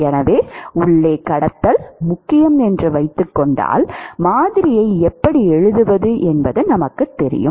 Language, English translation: Tamil, So, supposing we say that the conduction is important inside then we know how to write the model